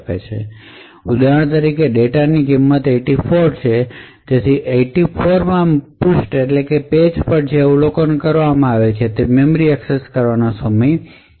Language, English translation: Gujarati, So over here for example the data has a value of 84 and therefore at the 84th page what is observed is that there is much lesser memory access time